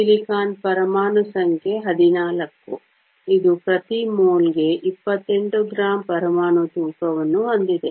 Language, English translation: Kannada, Silicon has an atomic number of 14; it has an atomic weight of 28 grams per mole